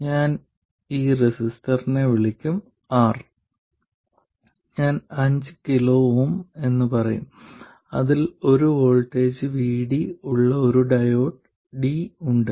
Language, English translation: Malayalam, I'll call this resistor R which I'll say is 5 kilhoms and there is a diode D with a voltage VD across it